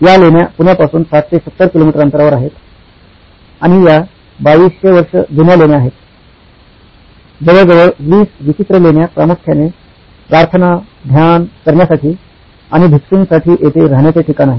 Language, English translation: Marathi, This is about 60, 70 kilometres from Pune, India, and these are the set of 2200 year old caves, about 20 odd caves mainly for prayer, meditation and served as living quarters here for the monks